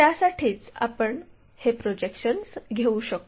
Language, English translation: Marathi, For that only we can take these projections